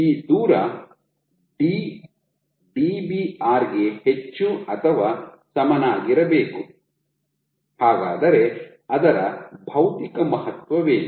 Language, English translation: Kannada, So, this distance d’ has to be greater or equal to Dbr, and what is the physical significance of that